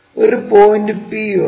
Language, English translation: Malayalam, Let us begin with a point P